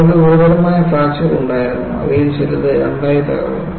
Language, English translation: Malayalam, They had serious fractures and some of them broke into 2